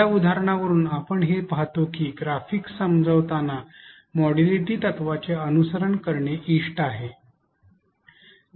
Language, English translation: Marathi, From this example we see that it is desirable to follow the modality principle while explaining graphics